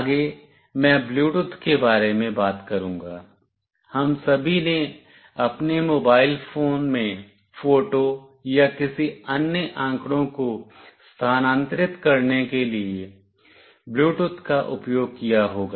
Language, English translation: Hindi, Next I will talk about Bluetooth; we all might have used Bluetooth in our mobile phones for transferring photos or any other data